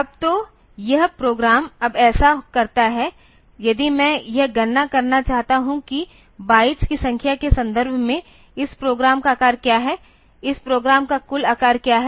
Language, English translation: Hindi, Now, so this program does this now if I want to compute what is the size of this program in terms of number of bytes what is the total size of this program